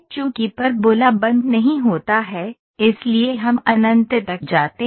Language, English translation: Hindi, Since the parabola is not closed, so that is why we go to infinity